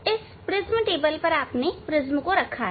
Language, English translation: Hindi, On this prism table, so you have kept prism